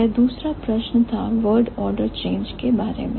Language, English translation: Hindi, The second question was about word order change